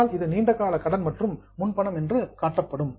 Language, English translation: Tamil, Then it will be shown as a long term loan and advance